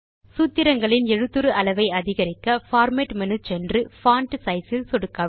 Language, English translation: Tamil, To increase the font size of the formulae, go to Format menu and click on Font Size